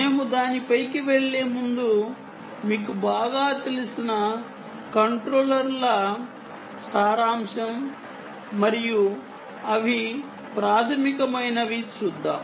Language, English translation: Telugu, but before we go onto that, let us see a summary of controllers that you know very well and what they, what they are basic